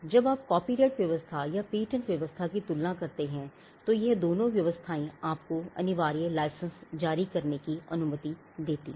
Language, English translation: Hindi, And more importantly when you compare copyright regime and the patent regime, those two regimes allow for the issuance of a compulsory license